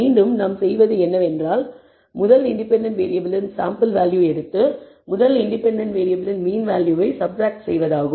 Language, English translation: Tamil, Again what we do is take the sample value of the first independent variable and subtract the mean value of the first independent variable